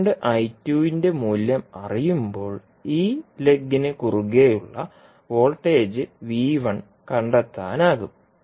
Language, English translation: Malayalam, Now, when you know the value of current I2 you can find out the voltage V1 which is across this particular lag